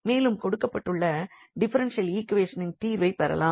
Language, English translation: Tamil, So, we will get this differential equation a simple differential equation